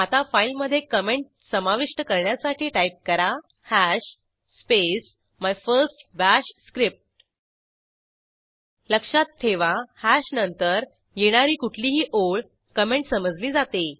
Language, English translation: Marathi, Press Enter Now, lets add a comment to the file by typing hash space my first Bash script Remember that any line after hash, is treated as a comment